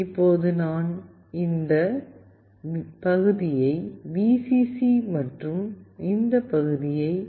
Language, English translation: Tamil, Now I will connect this part with Vcc and this one with pin D2